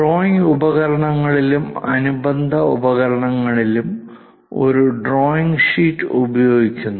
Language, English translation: Malayalam, In the drawing instruments and accessories, the essential component is using drawing sheet